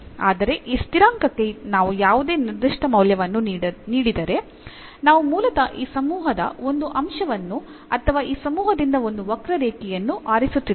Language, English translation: Kannada, So, therefore, we call this as a general solution, but if we give any particular value to this constant, then we are basically selecting one element of this family or one curve out of this family